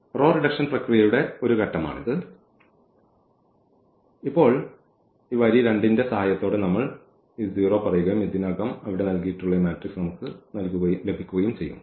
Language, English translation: Malayalam, So, this is the one step of this row reduction process and now we will said this 0 with the help of this row 2 and we will get this matrix which is given already there